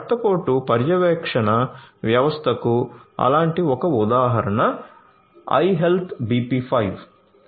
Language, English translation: Telugu, One such example of blood pressure monitoring system is iHealth BP5